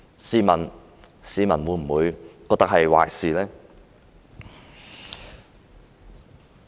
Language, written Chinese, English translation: Cantonese, 試問市民會否覺得這是壞事呢？, Tell me will members of the public consider this a bad thing at all?